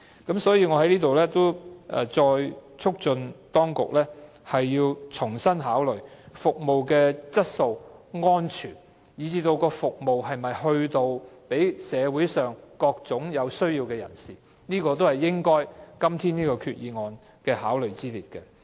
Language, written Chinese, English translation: Cantonese, 因此，我在此再促請當局重新考慮巴士公司的服務質素及安全，以及巴士公司能否為社會上各類有需要的人士提供服務，這些也是今天這項決議案應該考慮的。, Therefore here I once again urge the authorities to reconsider the quality and safety of services of bus companies and whether bus companies can provide services for various types of people in need in the community . These should also be taken into account in considering this resolution today